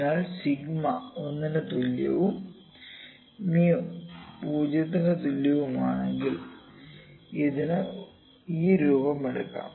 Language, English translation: Malayalam, So, if sigma is equal to 1 and mu is equal to 0, it can take this shape